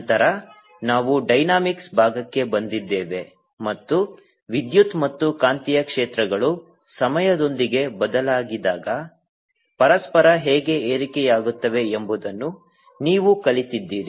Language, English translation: Kannada, then we came to the dynamics part and you learnt how electric and magnetic fields can give raise to each other through when the change time